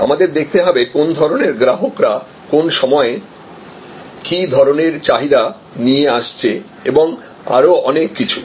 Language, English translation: Bengali, We have to see, what kind of customers are coming up with what kind of demand at what point of time and so on and so forth